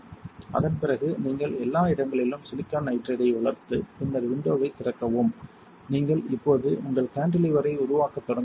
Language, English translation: Tamil, After that you grow silicon nitride everywhere right and then open window such that you are now starting fabricating your cantilever alright